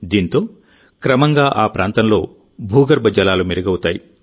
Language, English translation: Telugu, This will gradually improve the ground water level in the area